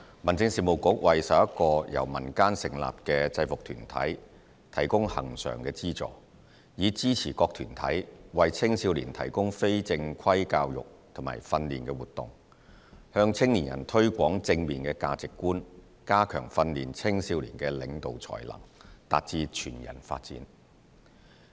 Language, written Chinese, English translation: Cantonese, 民政事務局為11個由民間成立的制服團體提供恆常資助，以支持各團體為青少年提供非正規教育和訓練活動，向青年人推廣正面的價值觀、加強訓練青少年的領導才能、達致全人發展。, At present the Home Affairs Bureau provides recurrent subvention to 11 UGs in the community to support their provision of informal education and training to young people for helping them foster positive values strengthen leadership skills and attain whole - person development